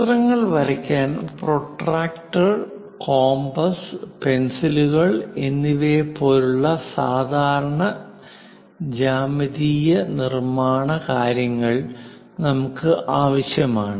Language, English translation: Malayalam, To draw any figure, we require typical geometrical construction using protractors compass pencil and so on things